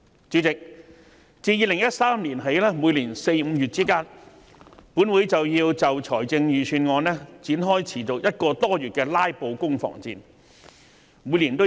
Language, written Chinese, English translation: Cantonese, 主席，自2013年起，本會在每年4月、5月均會就財政預算案展開持續個多月的"拉布"攻防戰。, Chairman commencing from 2013 a battle of filibuster in respect of the Budget would take place in this Council from April to May every year lasting for more than a month